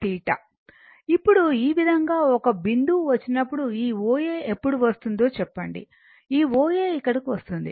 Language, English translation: Telugu, Now this way when it will come to some this point say this O A when it will come this O A will come here